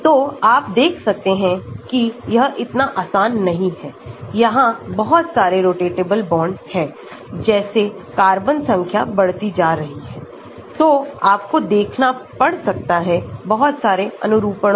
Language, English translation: Hindi, So, you see it is not so easy, there are so many rotatable bonds as the carbon number increases so, you may have to have look at so many conformations